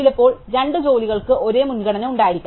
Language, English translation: Malayalam, Sometimes two jobs may have the same priority that does not matter